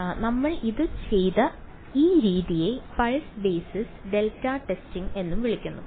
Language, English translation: Malayalam, So, this method that we did it is also called pulse basis and delta testing